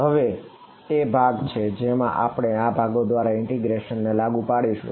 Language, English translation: Gujarati, So, now is the part where we will have to apply integration by parts